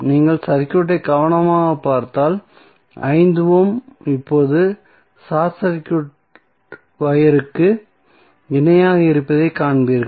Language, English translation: Tamil, If you see the circuit carefully you will see that 5 ohm is now in parallel with the short circuit wire